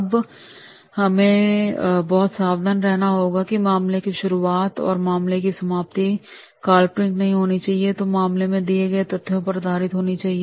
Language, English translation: Hindi, Now we have to be very careful that is the beginning of the case and ending of the case that should not be hypothetical and that should be based on the facts provided in the case